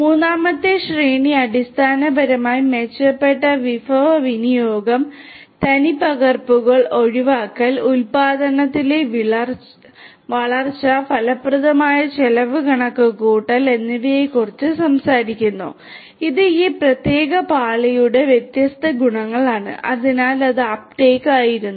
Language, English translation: Malayalam, And the third tier basically talks about improved resource utilisation, avoiding replications, growth in production, effective cost computation these are the different properties of this particular layer, so that was Uptake